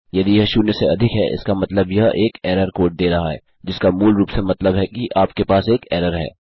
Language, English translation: Hindi, If its more than zero it means that its giving an error code which basically means that you have an error